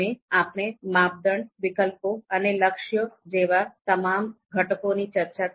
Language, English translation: Gujarati, So we discussed all the components, criteria, alternatives, goals